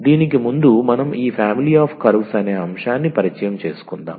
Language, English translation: Telugu, So, before that we need to introduce this family of curves